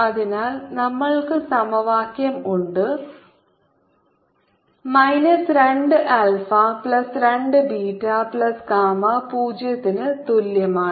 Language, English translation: Malayalam, and for i get minus two alpha plus two, beta plus gamma is equal to zero